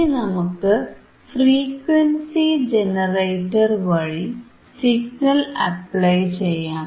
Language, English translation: Malayalam, Now we are applying the signal through the frequency generator,